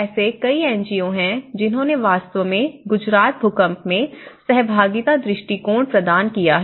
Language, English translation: Hindi, So, there are many NGOs who have actually advocated participatory approaches in Gujarat earthquake